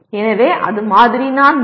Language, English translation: Tamil, So that is sample 4